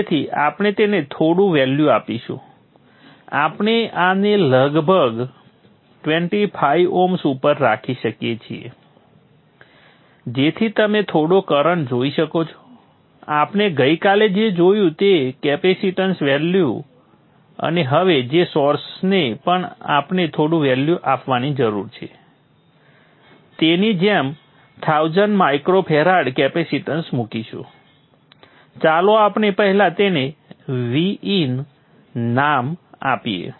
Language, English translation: Gujarati, We could keep this at around 25 oms so that you see some amount of current we'll put a thousand micro frared capacitance like what we saw yesterday the capacitance value and now the source we need to give some value let us first give it the name v in so we have the name v in and we need to give some value